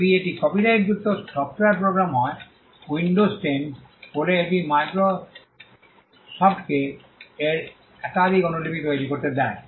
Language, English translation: Bengali, If it is a copyrighted software program say Windows 10, it allows Microsoft to make multiple copies of it